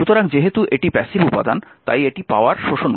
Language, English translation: Bengali, So, because it is a passive element it will absorbed power